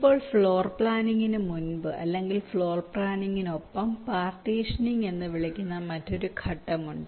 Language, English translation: Malayalam, ok, fine, now before floorplanning, or along with floorplanning, there is another steps, call partitioning, which are carried out